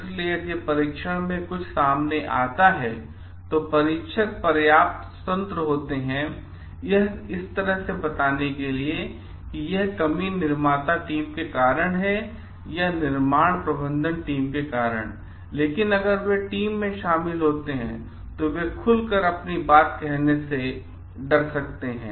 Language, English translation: Hindi, So if something comes out in the testing, the testers are like independent enough to tell like this is due to the manufacturer or this is due to the construction management team, but if they included within the team they may be fearful of opening up